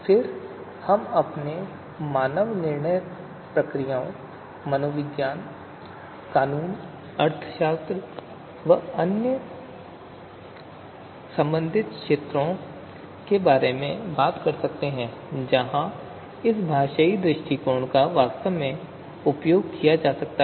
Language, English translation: Hindi, Then we can talk about human decision processes, psychology, law, economics and other related areas where this you know linguistic approach can actually be used